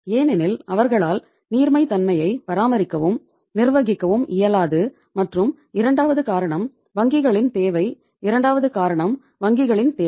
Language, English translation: Tamil, Because they are not able to maintain and manage the liquidity and second reason was the requirement of the banks, second reason was the requirement of the banks